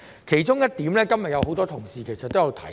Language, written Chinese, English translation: Cantonese, 其中一點今日很多同事也有提及。, One of the points has been mentioned by many colleagues today